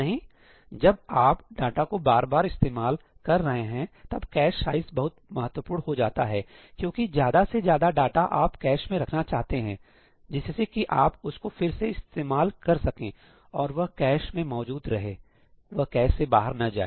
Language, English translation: Hindi, When you are reusing data, then cache size is very very important because you want to fit as much data into the cache, so that you can reuse it and it still stays in the cache; it does not get out of the cache